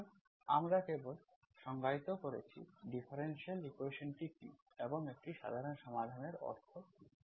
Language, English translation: Bengali, So we have just defined what is the differential equation and what is the meaning of a general solution